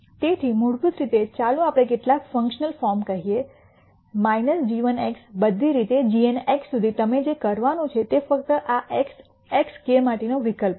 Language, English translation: Gujarati, So, basically this is going to be let us say some functional form minus g 1 x all the way up to g n x all you are going to do is simply substitute for this x, x k